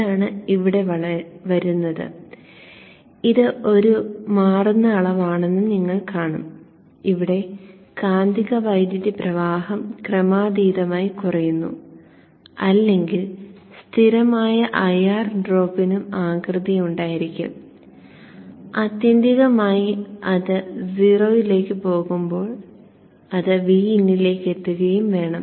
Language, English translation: Malayalam, And out of this you will see that this is a varying quantity and we saw that the current here the magnetizing current is going down exponentially or being constant IR drop will also have this shape and ultimately it should when it goes to zero it should settle to VIN